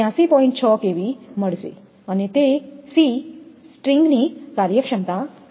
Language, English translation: Gujarati, 6 kV; and c is the string efficiency